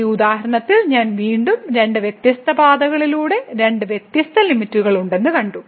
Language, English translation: Malayalam, So, I will again in this example we have seen that along two different paths, we have two different limits